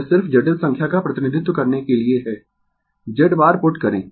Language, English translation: Hindi, It just to represent complex number you put Z bar